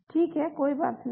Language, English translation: Hindi, Now, no problem